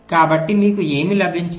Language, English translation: Telugu, so what you have got